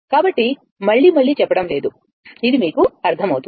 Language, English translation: Telugu, So, not saying again and again; it is understandable to you , right